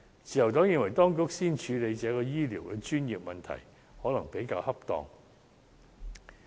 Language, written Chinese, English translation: Cantonese, 自由黨認為，當局先處理這個醫療專業問題，可能比較恰當。, The Liberal Party thinks that it may be more appropriate for the authorities to deal with this medical issue first